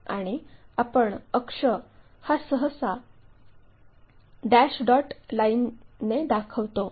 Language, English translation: Marathi, And, the axis we usually show by dash dot lines